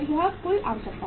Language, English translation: Hindi, This is the total requirement